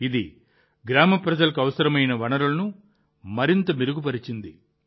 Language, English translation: Telugu, This has further improved the village people's access to essential resources